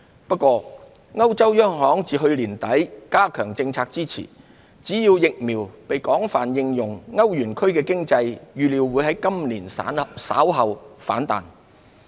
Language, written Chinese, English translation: Cantonese, 不過，歐洲央行自去年年底加強政策支持，只要疫苗被廣泛應用，歐元區經濟預料會在今年稍後反彈。, Nevertheless with stronger policy support provided by the European Central Bank since late last year the eurozone economy is expected to rebound later this year provided that vaccines are widely applied